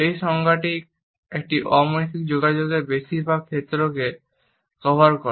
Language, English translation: Bengali, This definition covers most of the fields of nonverbal communication